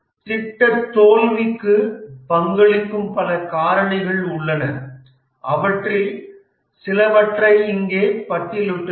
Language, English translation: Tamil, There are many factors which may contribute to a project failure, just listed some of them here